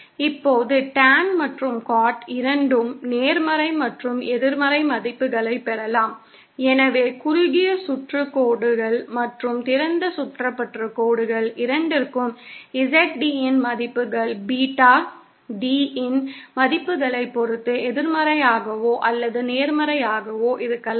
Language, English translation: Tamil, Now tan and cot, both can acquire positive and negative values, therefore the values of ZD for both the short circuited lines and open circuited lines can be negative or positive depending upon the values of Beta D